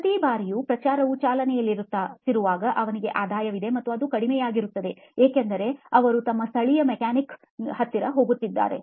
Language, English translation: Kannada, Every time a promotion runs, he has revenue and it just dwindles out because they go back to their local mechanic